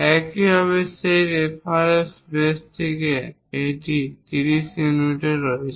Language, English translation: Bengali, Similarly, from that reference base this one is at 30 units